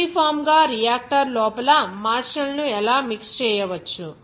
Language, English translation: Telugu, Just uniformly, how the martial can be mixed inside the reactor